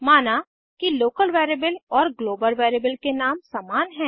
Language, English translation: Hindi, Suppose the local variable and the global variable have same name